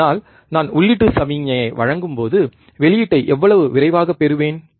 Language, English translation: Tamil, So, when I give a input signal, how fast I I get the output